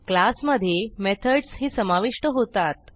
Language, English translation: Marathi, Now a class also contains methods